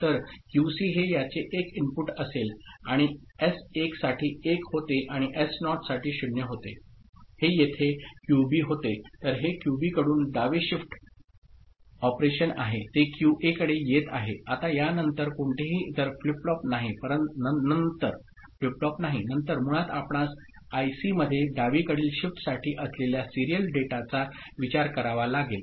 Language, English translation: Marathi, So, QC will be the input of this one right and for S1 being 1 and S naught being 0 right this was QB here so, the it is a left shift operation from QB it was coming to QA, now there is no other flip flop after this so, basically then you have to consider serial data in which is for left shift that was there in the IC one of the input ok